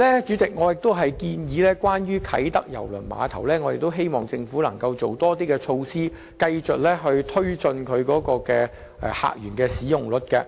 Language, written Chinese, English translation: Cantonese, 主席，關於啟德郵輪碼頭，我們希望政府能夠制訂更多措施，繼續提高碼頭的使用率。, President as regards the Kai Tak Cruise Terminal we hope that the Government will continue to introduce more measures to raise the utilization rate of the Terminal